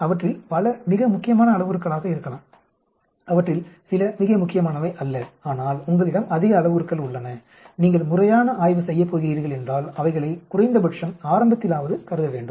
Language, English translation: Tamil, Many of them may be very important parameters some of them are not very important but you have large number of parameters which are to be at least initially considered if your going to do a proper study